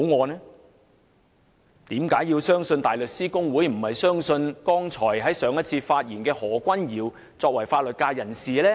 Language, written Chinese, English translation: Cantonese, 為何大家要相信大律師公會，而不要相信剛才發言的法律界人士何君堯議員？, Why should we trust the Bar Association but not Mr Junius HO the legal professional who has just spoken?